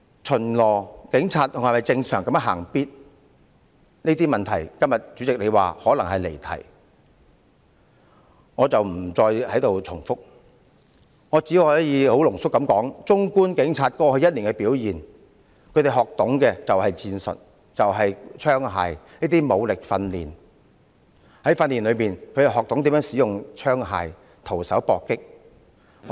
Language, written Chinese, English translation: Cantonese, 主席會說我談論這些問題是離題，我不再在此重複，我只能濃縮說，綜觀警察過去一年的表現，他們學懂的是戰術、槍械、武力訓練，在訓練過程中，他們學懂怎樣使用槍械、徒手搏擊。, The President will say that I have digressed from the subject when I talk about these questions so I will not repeat . Let me summarize my views . Judging from the performance of the Police over the past one year what the police officers have learnt are tactics firearm and weapon training